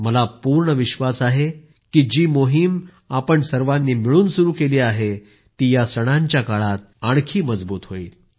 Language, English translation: Marathi, I am sure that the campaign which we all have started together will be stronger this time during the festivals